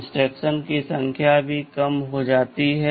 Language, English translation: Hindi, There is less number of instructions reduced set